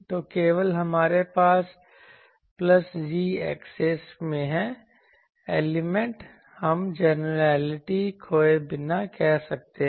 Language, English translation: Hindi, So, only we have in the plus z axis the elements this we can say without losing generality